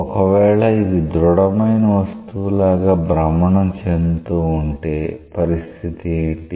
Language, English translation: Telugu, If it was rotating like a rigid body then what would have been the case